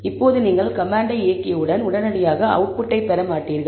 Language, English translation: Tamil, Now, once you execute the command, you will not get the output immediately